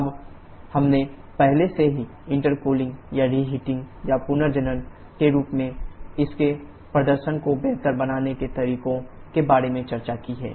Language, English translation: Hindi, Now, we have already discussed about the ways to improve the performance of this in the form of intercooling or reheating or regeneration